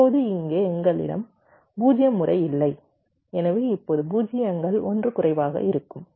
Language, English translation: Tamil, now here we do not have the all zero pattern, so now zeros will be one less, right